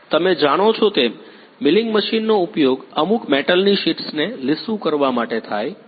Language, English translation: Gujarati, Milling machine as you know are used for smoothing of some metal sheets